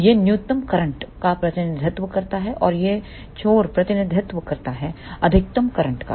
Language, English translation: Hindi, This represents the minimum current and this end represents the maximum current